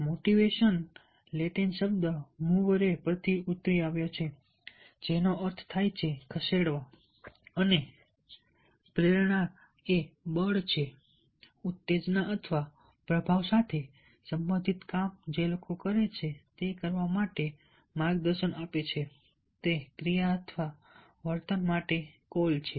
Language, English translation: Gujarati, motivation is derived from latin word movere, which means to move, and motivation relates to the force, stimulus or influence that guide people to do the things they do